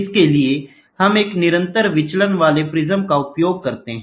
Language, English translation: Hindi, For that, we use a constant deviating prism